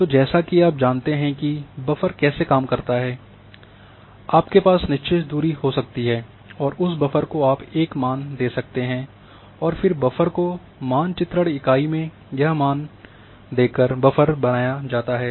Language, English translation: Hindi, So, as you know how buffer works you can have a fixed distance and that buffer you give a value and this much buffer in mapping units the value will come and then buffer is created